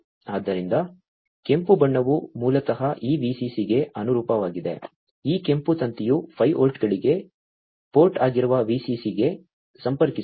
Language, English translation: Kannada, So, the red one basically corresponds to this VCC, this red wire is connecting to the VCC which is the port for 5 plus 5 volts